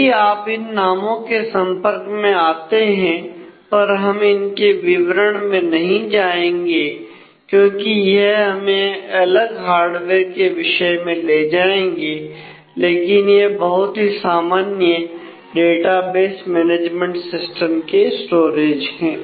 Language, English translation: Hindi, So, if you come across these terms we will not go into details of that that takes us into a different course of hardware discussion, but these are the very common storages for database disk systems